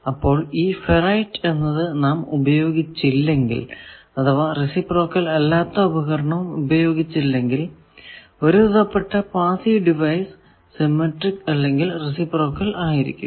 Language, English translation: Malayalam, So, if ferrite is not used or other such non reciprocal special materials not used, in most of the passive devices they are symmetric or their reciprocal network